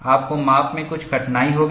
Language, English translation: Hindi, You will have certain difficulty in measurement